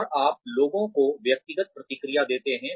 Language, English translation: Hindi, And, you give people individual feedback